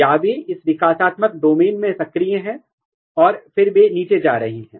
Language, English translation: Hindi, Or they are activated in this developmental domain and then they are going down